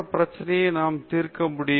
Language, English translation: Tamil, Can we solve a similar problem